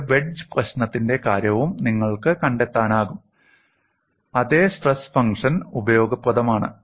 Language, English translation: Malayalam, And you would also be able to find out for the case of a wedge problem, the same stress function is useful